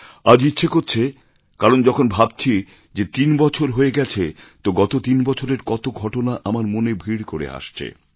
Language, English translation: Bengali, Today I felt like sharing it, since I thought that it has been three years, and events & incidents over those three years ran across my mind